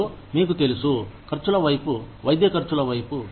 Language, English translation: Telugu, And, you know, towards the expenses, towards the medical expenses